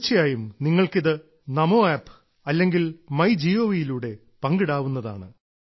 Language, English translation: Malayalam, And yes, I would like it if you share all this with me on Namo App or MyGov